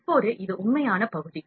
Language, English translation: Tamil, Now, this is the actual part now